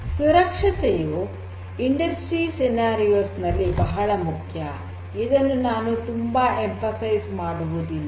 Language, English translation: Kannada, Safety is very important in industry scenarios and I cannot emphasize this more